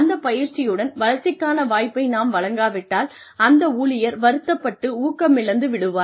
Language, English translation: Tamil, If opportunity for growth is not given, along with that training, then the employee will feel, disheartened, demotivated